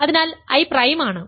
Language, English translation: Malayalam, So, I is prime